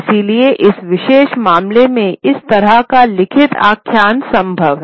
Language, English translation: Hindi, So, in this particular case, therefore, kind of a written narrative is possible